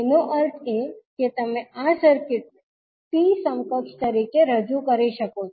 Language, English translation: Gujarati, It means that you can represent this circuit as T equivalent